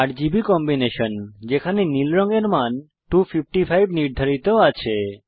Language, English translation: Bengali, RGB combination where blue value is set to 255